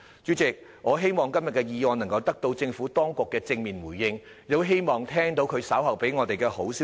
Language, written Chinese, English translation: Cantonese, 主席，我希望今天這項議案能夠得到政府當局的正面對應，亦希望稍後聽到政府當局給予我們好消息。, President I hope we will receive from the Administration a positive response to the motion today . I also hope we will hear goods news from the Administration in a while